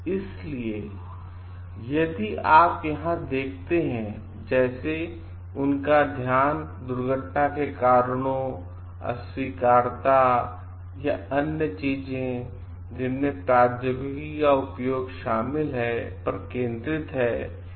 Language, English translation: Hindi, So, if you see over here; like, the their focus is on the causes of accidents malfunctions or other things that involve the uses of technology